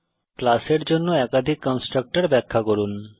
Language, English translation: Bengali, Define multiple constructors for a class